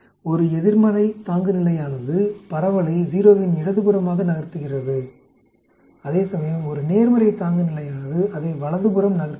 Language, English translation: Tamil, A negative threshold shifts the distribution to the left of 0 whereas, a positive threshold shift it to the right